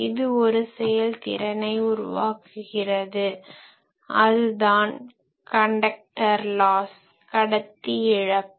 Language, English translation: Tamil, So, this will give rise to an efficiency which is conductor loss and later we will see how to calculate this conductor loss